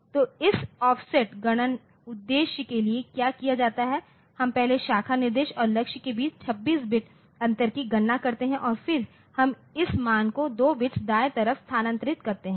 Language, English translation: Hindi, So, what is done for this for this offset calculation purpose we first compute the 26 bit difference between the branch instruction and target and then we right shift the value by 2 bits